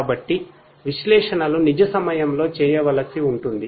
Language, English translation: Telugu, So, analytics will have to be done in real time